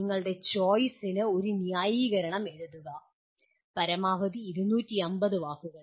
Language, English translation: Malayalam, Write a justification for your choice, maximum of 250 words